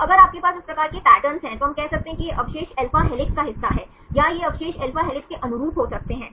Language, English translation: Hindi, So, if you have this type of patterns, then we can say these residues are part of alpha helix, or these residues can suit alpha helix right